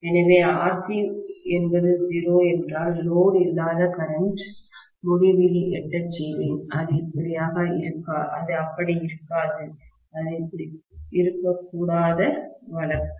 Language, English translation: Tamil, So, if RC is 0, I will have no load current reaching infinity, which will not be the case, which should not be the case, got it